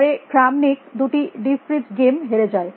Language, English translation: Bengali, Then Kramnik lost two deep fritz later